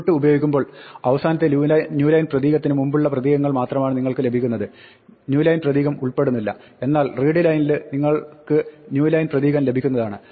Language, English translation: Malayalam, When you say input you only get the characters which come before the last new line the new line is not included, but in readline you do get the new line character